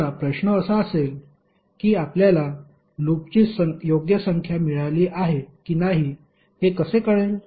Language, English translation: Marathi, Now the question would be, how you will find out whether you have got the correct number of loops or not